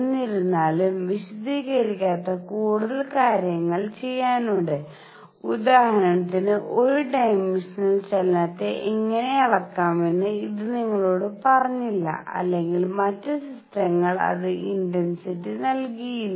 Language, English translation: Malayalam, However, there was much more to be done did not explain, it did not tell you how to quantize one dimensional motion for example, or other systems and it did not give the intensity